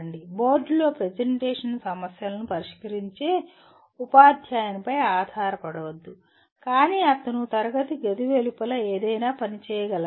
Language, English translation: Telugu, Do not depend on teacher making the presentation solving problems on the board, but he should be able to work something outside the classroom